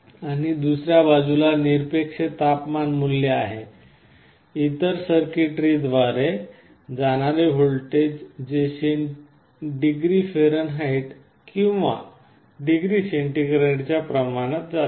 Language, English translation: Marathi, And on the other side this absolute temperature value, this voltage through some other circuitry is being converted into a voltage that can be made proportional to either degree Fahrenheit or degree centigrade